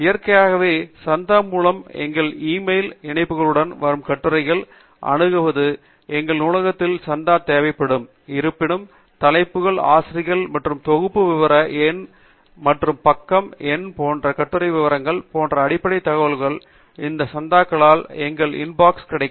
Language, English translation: Tamil, Naturally, accessing the articles that come with links in our emails through the subscription will require a subscription from our library; however, the basic information such as the title, authors, and the article details such as volume issue number and page number, etcetera will be available in our inbox through these subscriptions